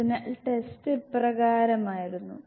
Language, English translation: Malayalam, So the test was like this